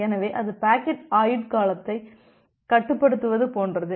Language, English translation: Tamil, So, that is just like the restricting the packet life time